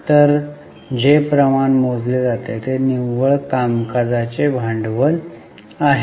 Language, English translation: Marathi, So, the ratio which is calculated is net working capital to sales